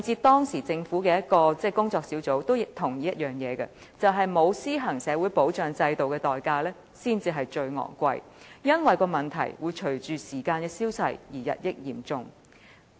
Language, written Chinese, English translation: Cantonese, 當時政府的一個工作小組也同意，"沒有施行社會保障制度的代價才是最昂貴的，因為問題會隨着時光的消逝而日益嚴重"。, At that time a working group of the Government agreed that the cost of not implementing a social security system is exorbitant because the problems will become increasingly serious as time goes by . Today 40 years later we still fail to enjoy any retirement protection